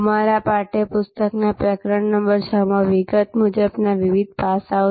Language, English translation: Gujarati, Different aspects as detailed in our text book in chapter number 6